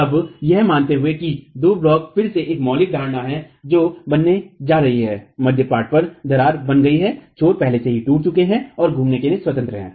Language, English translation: Hindi, Now assuming that the two blocks, again a fundamental assumption that we are going to make is midspan crack has formed, the ends are already cracked and free to rotate